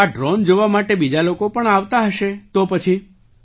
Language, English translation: Gujarati, So other people would also be coming over to see this drone